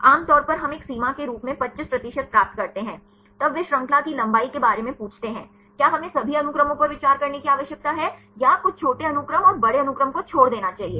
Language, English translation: Hindi, Normally we get 25 percent as a threshold; then they asking about the chain length, whether we need to consider all the sequences or discard some short sequence and large sequence